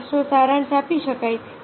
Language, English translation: Gujarati, the summary can be summarized